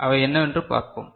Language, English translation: Tamil, So, let us see what are they